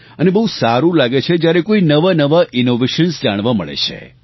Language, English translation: Gujarati, And it is nice to see all sorts of new innovations